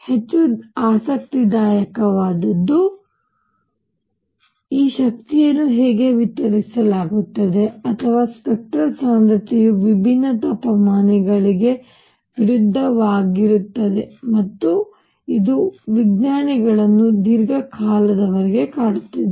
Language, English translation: Kannada, What is more interesting; however, is how is this energy distributed or the spectral density u lambda versus lambda for different temperatures and that is what bothered scientists for a long time